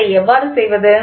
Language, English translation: Tamil, So, how do we do it